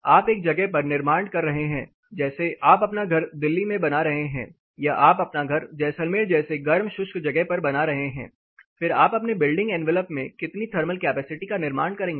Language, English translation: Hindi, You are building in a place, so you are building your house in Delhi where you are building your house in hot dry place like Jaisalmer, then how much amount of thermal capacity you have to build in into your envelop